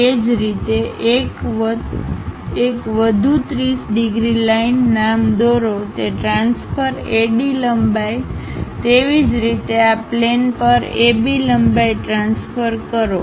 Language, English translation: Gujarati, Similarly, draw one more 30 degrees line name it a transfer AD length; similarly transfer AB length on this planes